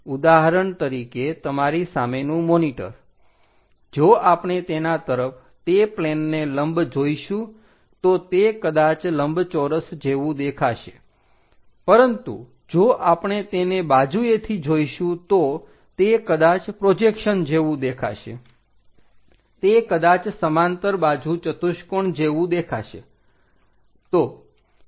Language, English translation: Gujarati, For example, the monitor in front of you, if we are looking normal to that plane it may look like a rectangle, but if we are looking from sideways it might look like the projection, might look like a parallelogram